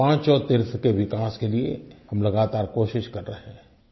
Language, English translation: Hindi, We are making a constant effort to develop these five pilgrimage spots